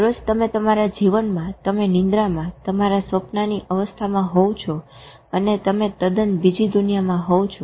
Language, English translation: Gujarati, In your own life, in every day you go into your dream state in your sleep and you are a different world altogether